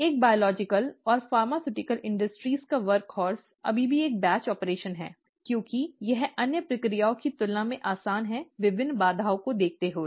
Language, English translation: Hindi, The workhorse of a biological or a pharmaceutical industry is still a batch operation, because it is rather easy compared to the other processes to carry out, given the various constraints